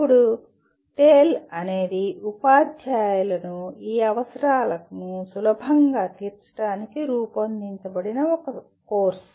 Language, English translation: Telugu, Now, TALE is a course that is designed to facilitate teachers to meet these requirements